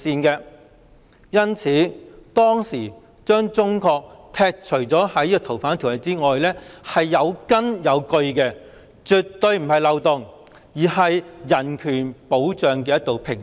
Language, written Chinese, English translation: Cantonese, 因此，當時把中國剔除在《逃犯條例》以外是有根有據的，絕對不是漏洞，而是保障人權的一道屏障。, Hence the exclusion of China from the scope of the Ordinance back then was well founded and justified; it was absolutely not a loophole . The Ordinance is a bastion of human rights